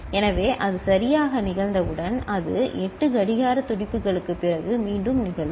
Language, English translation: Tamil, So, once it occurs right, it will again occur after 8 clock pulses